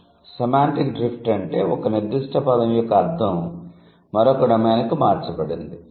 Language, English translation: Telugu, So, the semantic drift means the meaning of a particular word has been drifted to or has been shifted to another domain